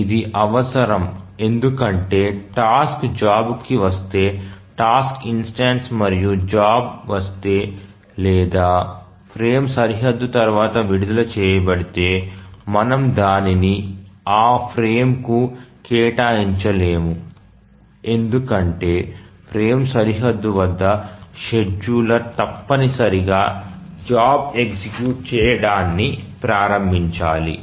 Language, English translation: Telugu, To think of it why this is necessary is that if the task arrives the job the task instance or the job arrives or is released after the frame boundary then we cannot assign that to that frame because at the frame boundary the scheduler must initiate the execution of the job